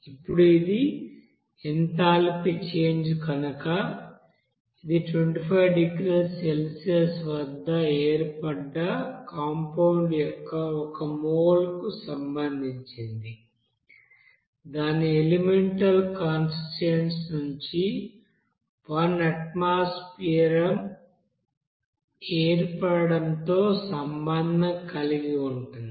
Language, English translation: Telugu, Now since this is the enthalpy change which is associated with the formation of one mole of the compound at 25 degrees Celsius and one atmosphere from its elemental constituents